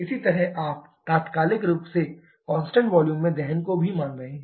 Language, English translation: Hindi, Similarly, you are also assuming combustion to instantaneous that is at constant volume